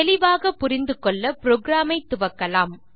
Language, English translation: Tamil, For a better understanding, let us start the program